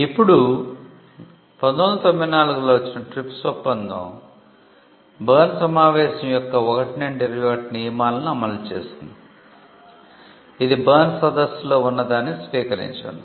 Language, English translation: Telugu, Now, the TRIPS agreement which came in 1994 implemented articles 1 to 21 of the Berne convention; it just adopted what was there in the Berne convention